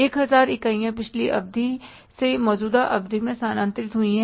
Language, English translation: Hindi, The units transferred from the previous period to the current period 1,000